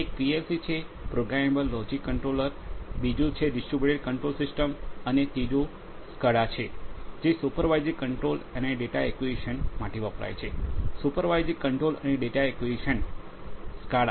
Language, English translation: Gujarati, One is the one is the PLC, the Programmable Logic Controller; second is the DCS, the Distributed Control Systems and the third is the SCADA which stands for Supervisory Control and Data Acquisition; Supervisory Control and Data Acquisition, SCADA